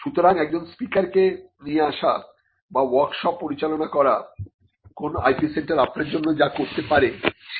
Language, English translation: Bengali, So, inviting a speaker to come and speak or conducting a workshop may not address this part of what an IP centre can do for you